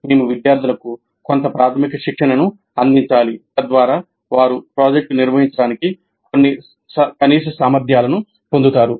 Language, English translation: Telugu, So we need to provide some basic training to the students so that they get some minimal competencies to carry out the project